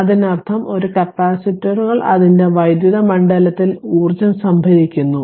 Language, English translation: Malayalam, So, so that means, that is a capacitors a capacitors stores energy in its electric field right